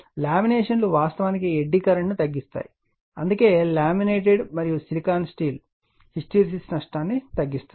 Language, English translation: Telugu, The laminations reducing actually eddy current that is why laminated and the silicon steel keeping hysteresis loss to a minimum, right